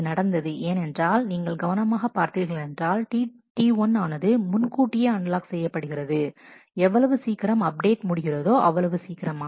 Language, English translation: Tamil, This happened because if we look carefully this has happened because, T 1 has unlocked to prematurely T 1 has unlocked as soon as the update to be was over